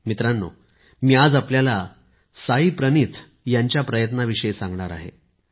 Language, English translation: Marathi, Friends, I want to tell you about the efforts of Saayee Praneeth ji